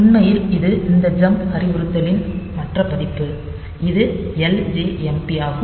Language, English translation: Tamil, So, this is actually this this this is the other version of this jump instruction, which is ljmp